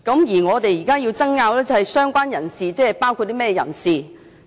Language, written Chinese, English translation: Cantonese, 而我們現在爭拗的是，"相關人士"包括甚麼人士？, And our argument right now is about what parties related person include?